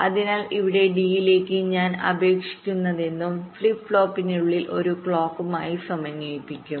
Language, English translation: Malayalam, so here, whatever i apply to d, that will get stored inside the flip flop in synchronism with a clock